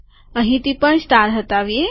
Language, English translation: Gujarati, Also remove the star here